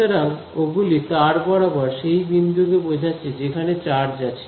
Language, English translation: Bengali, So, those refer to the points along the wire where the charges are right